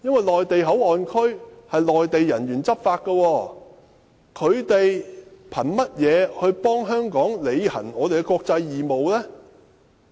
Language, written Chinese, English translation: Cantonese, 內地口岸區由內地人員執法，他們憑甚麼替香港履行其國際義務？, Given that Mainland personnel can enforce laws in MPA on what legal ground do they discharge the international obligations for Hong Kong?